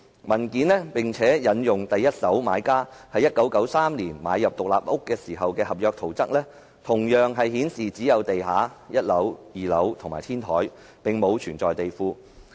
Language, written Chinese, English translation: Cantonese, 文件附有第一手買家在1993年買入獨立屋時的合約圖則，顯示只有地下、1樓、2樓及天台，並無地庫。, It did not mention a basement . Attached to the document was the contract plan of the house when the first - hand buyer bought it in 1993 which showed a ground floor a first floor a second floor and a roof but no basement